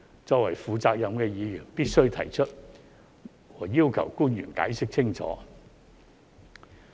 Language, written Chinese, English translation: Cantonese, 作為負責任的議員必須提出，以及要求官員解釋清楚。, As responsible Members we need to bring this up and seek clarification from the officials